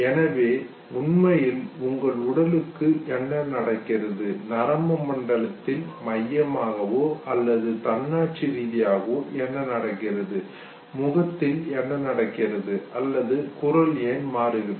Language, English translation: Tamil, So what actually happens to your body, what happens in the normal nervous system whether it is central or autonomic or what happens to the face or what happens to your voice okay